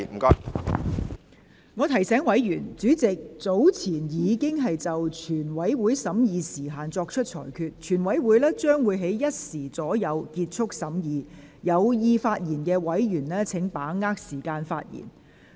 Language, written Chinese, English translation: Cantonese, 我提醒委員，主席早前已經就全體委員會審議時限作出裁決，全體委員會將於下午1時左右結束審議，請有意發言的委員把握時間發言。, I remind Members that according to the earlier ruling of the Chairman on the time limit of the Committee stage the scrutiny at this stage will end at about 1col00 pm . Members who wish to speak please seize the time